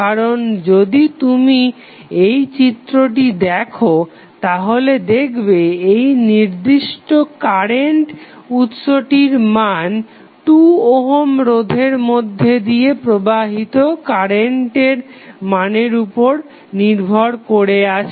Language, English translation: Bengali, Because if you see this figure the value of this particular current source is depending upon the current flowing through 2 ohm resistance